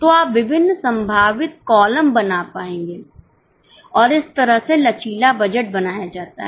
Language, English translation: Hindi, So, you will make various possible columns and that is how the flexible budget is structured